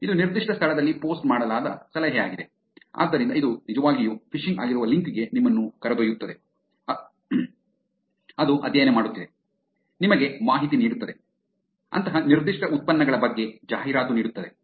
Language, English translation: Kannada, This is the tip posted on particular location, so it is taking you to link which could be actually phishing so, it is also studying, giving you information, advertising about such certain productd